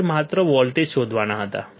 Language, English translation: Gujarati, I had to just find out the voltage